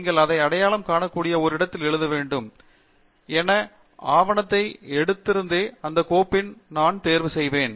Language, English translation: Tamil, You should write it at a location that we are able to identify, which I will choose in the same file as I have picked up my document